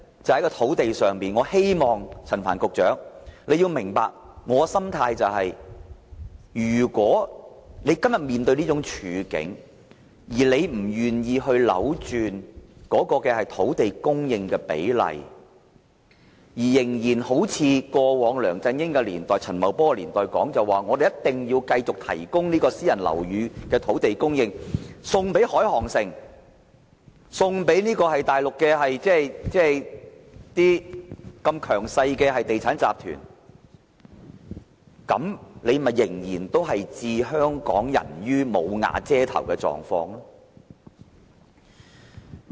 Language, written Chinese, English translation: Cantonese, 在土地供應方面，我希望陳帆局長明白，如果政府今天面對這種處境卻不願意扭轉土地供應比例，仍然像過往梁振英及陳茂波年代所主張的，繼續把私人樓宇的土地供應，送給深圳海航城或大陸的強勢地產集團，政府仍會令一些香港人"無瓦遮頭"。, In respect of land supply I hope Secretary Frank CHAN will understand that given the present situation if the Government is still reluctant to adjust the ratio of land supply if it continues to toe the line of LEUNG Chun - ying and Paul CHAN and keeps surrendering sites for building private housing to Shenzhen HNA City or powerful Mainland property groups some Hong Kong people will still not have a roof over their heads